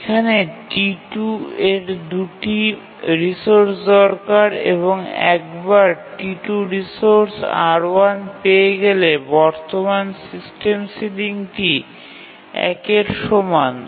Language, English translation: Bengali, So, once T2 gets the resource R1, the current system ceiling will be already equal to one